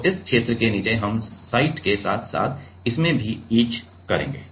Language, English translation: Hindi, So, to below this region we will get etch from the site as well as from this